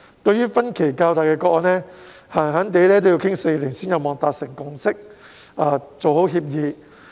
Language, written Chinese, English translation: Cantonese, 對於分歧較大的個案，動輒要討論4年才有望達成共識和協議。, For the more divergent cases the negotiation might take as long as four years before a consensus and an agreement could be reached